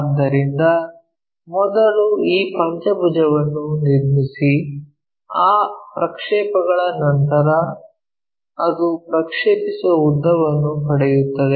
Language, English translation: Kannada, So, first construct this pentagon, after that project it get the projected length